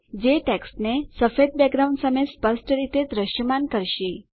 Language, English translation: Gujarati, This will make the text clearly visible against the white background